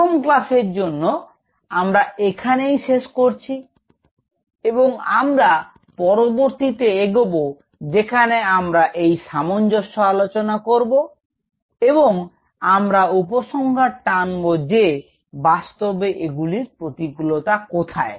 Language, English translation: Bengali, So, let us close in here for the first class and we will go to the next where we will be discussing this similarity and this similarity and we will conclude that where all the real challenges lie